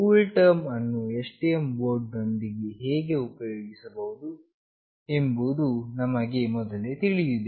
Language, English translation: Kannada, We already know how we have to use CoolTerm with STM board